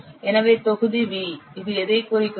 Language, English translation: Tamil, Therefore, the volume V, it represents what